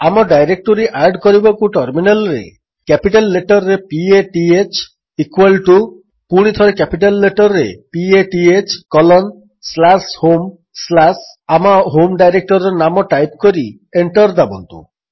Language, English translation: Odia, In order to add our own directory type at the terminal: P A T H in capital equal to dollar P A T H again in capital colon slash home slash the name of my own home directory and press Enter